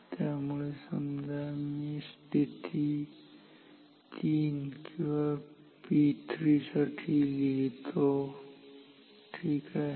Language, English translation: Marathi, So, let me write for position say 3 or P 3 ok